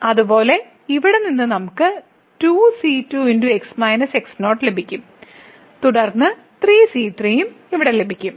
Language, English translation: Malayalam, Similarly from here we will get 2 time and minus then we will get here 3 time and so on